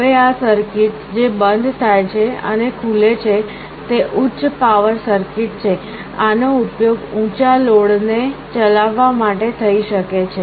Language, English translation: Gujarati, Now this circuit which closes and opens is a high power circuit, this can be used to drive a high load